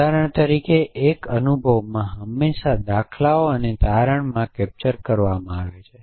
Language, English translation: Gujarati, So, in a experience for example, is always captured in patterns and conclusions